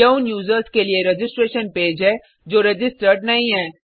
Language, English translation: Hindi, This is the registration page for those users who have not yet registered